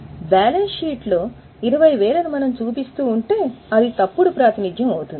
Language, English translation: Telugu, If in the balance sheet we continue to show 20,000, it will be a wrong representation